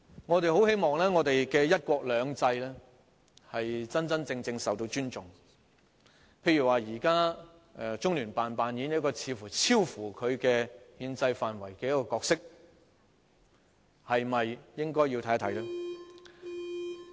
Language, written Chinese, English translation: Cantonese, 我十分希望"一國兩制"能夠真正受到尊重，舉例而言，現時中聯辦似乎正在扮演一個超乎其憲制範圍的角色，我們是否應該研究一下呢？, I very much hope that one country two systems can be genuinely respected . For example now it seems the Liaison Office of the Central Peoples Government in the Hong Kong Special Administrative Region is playing a role beyond its brief under the constitution . Should we not look into the matter?